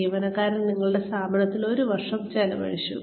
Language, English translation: Malayalam, The employee has, spent one year in your organization